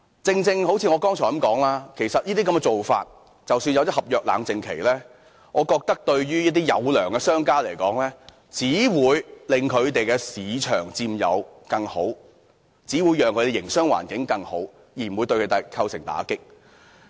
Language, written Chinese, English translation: Cantonese, 就像我剛才所說，即使訂立了合約冷靜期，我覺得對於一些殷實商家來說，這只會令他們有更大市場佔有率，令他們營商環境更好，並不會構成打擊。, As I have said earlier a cooling - off period will not affect those sincere merchants and this will only expand their market share as a result of an enhanced business environment . Such a measure will not create any impact for them